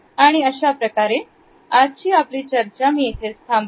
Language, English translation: Marathi, So, I would end my discussion at this point